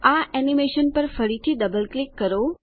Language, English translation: Gujarati, Double click on this animation again